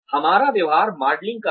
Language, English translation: Hindi, We have behavior modelling